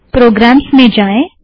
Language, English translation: Hindi, Press start, go to Programs